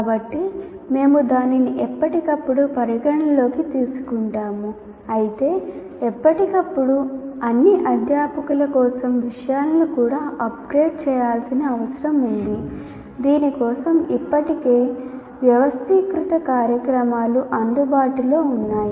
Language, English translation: Telugu, Though from time to time, even these subject matter needs to be upgraded for all the faculty, for which already well organized programs are available